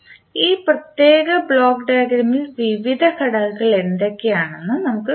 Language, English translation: Malayalam, So we will see what are the various components we have in this particular block diagram